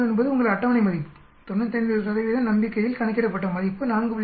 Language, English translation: Tamil, 71 is your table value, calculated is 4